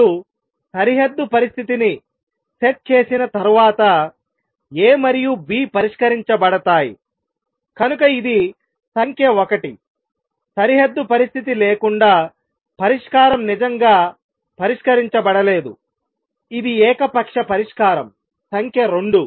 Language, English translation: Telugu, Once you set the boundary condition, then A and B are fixed; so that is number 1, so without a boundary condition, solution is not really fixed it is some arbitrary solution number 2